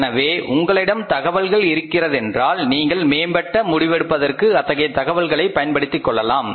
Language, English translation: Tamil, So, if you have the information you can make use of that and you can use that information for the improved decision making